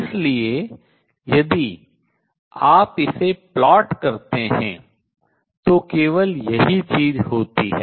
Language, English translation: Hindi, So, if you were to plot it if only this thing happen